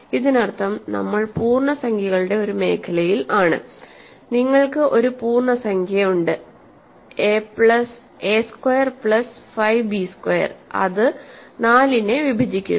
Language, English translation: Malayalam, So, a squared and b squared are actually positive integers; a squared plus 5 b squared must be a positive integer that divides 4